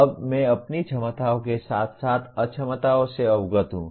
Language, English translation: Hindi, Now, I am aware of my abilities as well as inabilities